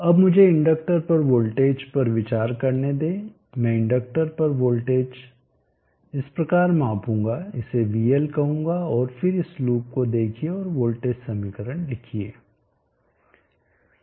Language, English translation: Hindi, Now let me consider the voltage across the inductor I will measure the voltage across the inductor in the passion call it as vl, and then let us look this loop and write down the voltage equation